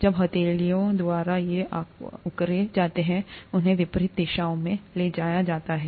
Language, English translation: Hindi, These are exerted by the palms when they are moved in opposite directions